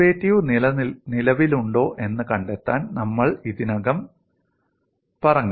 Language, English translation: Malayalam, And we have already said, we want to find out whether the derivative exists